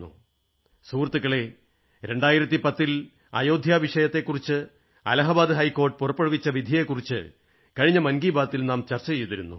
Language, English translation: Malayalam, Friends, in the last edition of Man Ki Baat, we had discussed the 2010 Allahabad High Court Judgment on the Ayodhya issue